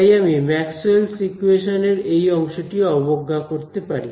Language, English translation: Bengali, So, I can ignore the time part of these Maxwell’s equations right